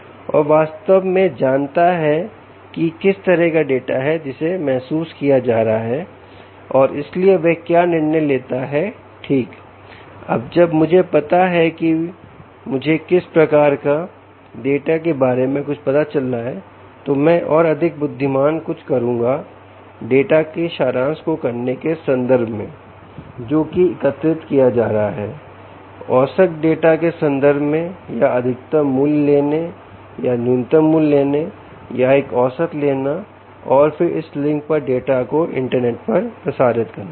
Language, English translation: Hindi, now that i know something about the type of data that is being sensed, let me do something more intelligent ah in terms of performing summary of the data that is being collected, in terms of averaging data ok, or picking the maximum value or the minimum value, or taking an average and then transmitting the data over this link to the internet